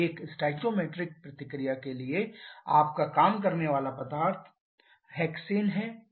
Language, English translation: Hindi, For a stoichiometric reaction your working fluid is hexane